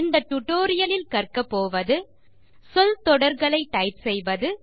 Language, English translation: Tamil, In this tutorial, you will learn how to: Type phrases